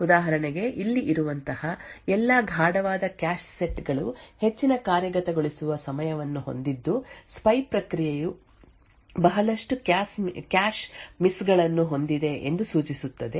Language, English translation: Kannada, For example all the darker cache sets like these over here have a higher execution time indicating that the spy process has incurred a lot of cache misses